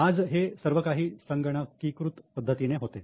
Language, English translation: Marathi, Now most of the accounting is computerized